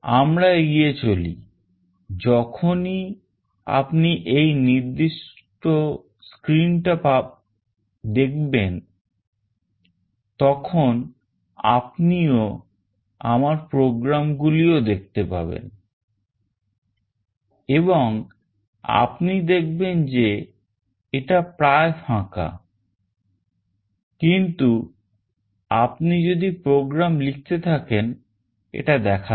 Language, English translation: Bengali, Let us move on; once you see this particular screen you will also see my programs and you see that it is almost empty, but if you keep on writing the programs it will show up